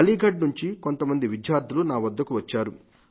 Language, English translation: Telugu, Student from Aligarh had come to meet me